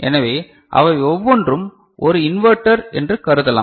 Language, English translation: Tamil, So, each one of them as such can be considered as an inverter right